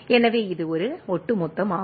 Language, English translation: Tamil, So, it is a cumulative